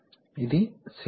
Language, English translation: Telugu, This is cylinder